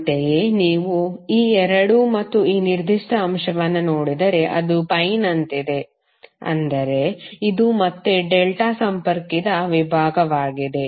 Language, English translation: Kannada, Similarly if you see these 2 and this particular element, it is like a pi, means this is again a delta connected section